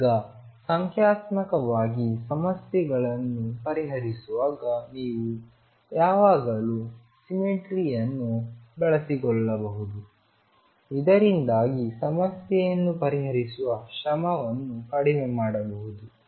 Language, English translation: Kannada, Now, you can always make use of the symmetry while solving problems numerically you can reduce the effort by making use of symmetry of the problem